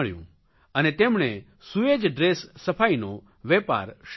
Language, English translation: Gujarati, He started the sewage dress and cleanliness business